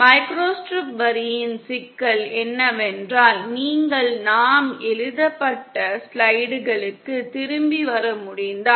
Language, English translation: Tamil, The problem with microstrip line, is that, if you can come back to our written slides